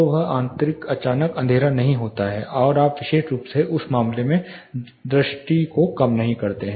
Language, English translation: Hindi, So, that interiors suddenly do not turn darker and you know you do not loose vision in that case particularly